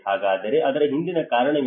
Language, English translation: Kannada, So what is the reason behind it